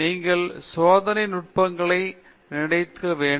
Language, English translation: Tamil, Therefore, you should have mastery of experimental techniques also